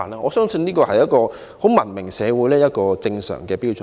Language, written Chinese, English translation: Cantonese, 我相信這是一個文明社會的正常標準。, I believe this complies with the norms of a civilized society